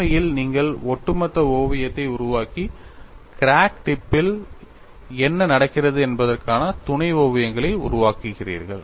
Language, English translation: Tamil, In fact, you make an overall sketch and make sub sketches what happens at the crack tip